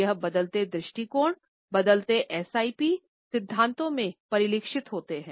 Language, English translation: Hindi, And these changing perspectives are reflected in the changing SIP theories